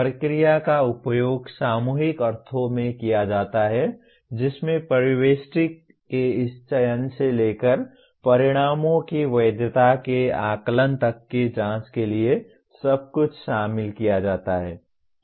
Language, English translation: Hindi, Process is used in the collective sense to include everything the investigator does from this selection of the phenomena to be investigated to the assessment of the validity of the results